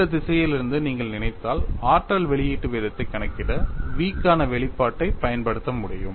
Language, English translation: Tamil, If you think from that direction, it is possible for you to use the expression for v to calculate the energy release rate